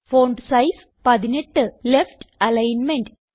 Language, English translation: Malayalam, Font size 18 and Left Alignment